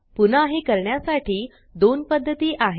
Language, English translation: Marathi, Again, there are two ways to do this